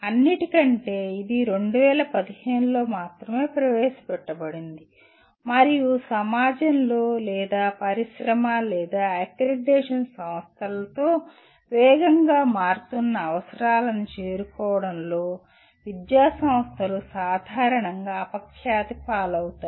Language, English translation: Telugu, After all, it was only introduced in 2015 and educational institutions are generally notorious in terms of moving with the fast changing requirements of the either society or with of the industry or accreditation bodies